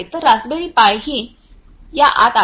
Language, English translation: Marathi, So, raspberry pi is inside this one